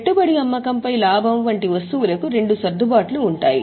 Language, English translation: Telugu, For items like profit on sale of investments, there will be two adjustments